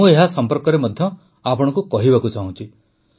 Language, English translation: Odia, I want to tell you about this too